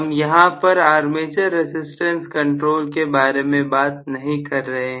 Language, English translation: Hindi, I am not talking here about the armature resistance control